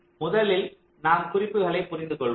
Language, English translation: Tamil, so lets understand the notations